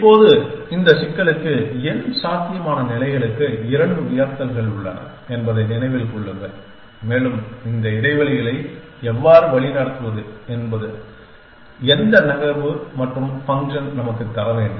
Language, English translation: Tamil, Now, remember that for this problem there are 2 raise to n possible states essentially and what move and function should give us is how to navigate this spaces